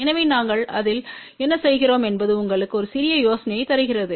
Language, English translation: Tamil, So, what we do in that so just to give you little bit of an idea